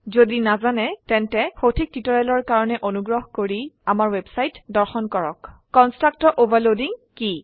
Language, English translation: Assamese, If not, for relevant tutorials please visit our website which is as shown, (http://www.spoken tutorial.org) What is constructor overloading